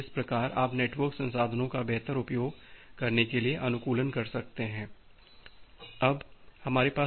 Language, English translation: Hindi, So, that way you can do the optimization to have better utilization of the network resources